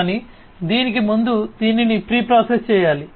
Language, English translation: Telugu, But before that it has to be pre processed